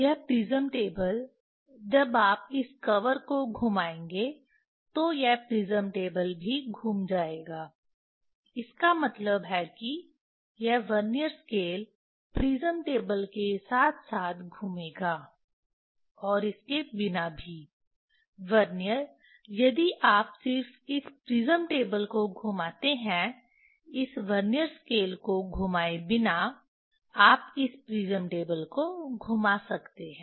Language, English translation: Hindi, this prism table you can when you will rotate this cover, this prism table will also rotate, that means, this Vernier scale will rotate with the prism table as well as also without, Vernier if you just rotate this prism table without rotating this Vernier scale, you can rotate this prism table